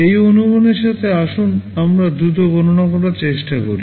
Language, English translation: Bengali, With this assumption let us try to make a quick calculation